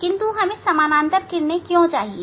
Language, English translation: Hindi, Why we need parallel rays